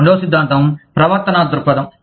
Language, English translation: Telugu, The second theory is the behavioral perspective